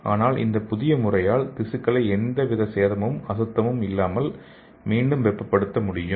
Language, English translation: Tamil, So with this new method the tissue can be re warmed with no sign of damage, and without any contamination